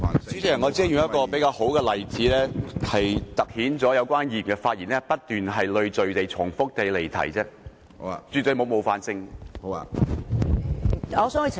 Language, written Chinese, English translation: Cantonese, 主席，我只是用一個比較好的例子，凸顯有關議員的發言不斷累贅而重複地離題，絕對沒有冒犯性。, President I just used a better example to highlight the fact that the Member had persisted in repetition and repeatedly strayed from the question . It was absolutely not meant to be offensive